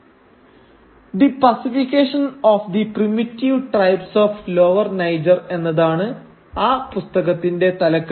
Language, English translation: Malayalam, And the title of the book is The Pacification of the Primitive Tribes of Lower Niger